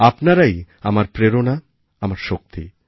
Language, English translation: Bengali, You are my inspiration and you are my energy